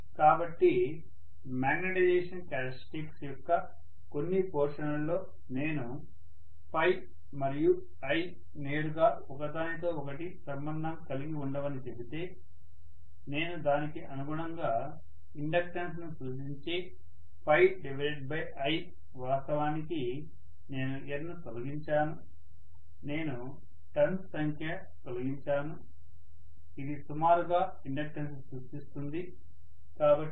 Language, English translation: Telugu, So if I say that phi and I are not directly related to each other in some portions of the magnetization characteristics, I should say correspondingly phi by I is roughly representing the inductance, of course I have removed the N, number of turns I have removed, that is approximately representing the inductance